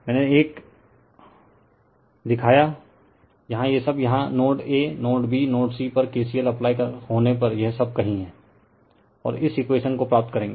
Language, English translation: Hindi, I showed you one, here is all these all these your here at node A node B node C you apply KCL and you will get this equation, your right you will get this equation